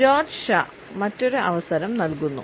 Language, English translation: Malayalam, George Shaw give the another chance